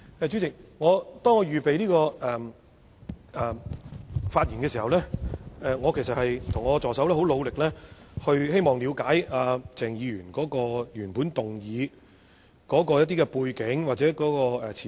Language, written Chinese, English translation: Cantonese, 主席，在我預備發言的時候，我和助手都希望了解鄭議員的原議案的背景或前提。, President when preparing my speech both my assistant and I wanted to understand the background or premise of Dr CHENGs original motion